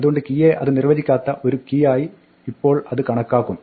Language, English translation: Malayalam, So, the key will now it considered being an undefined key